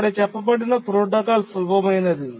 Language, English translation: Telugu, And that's the simple protocol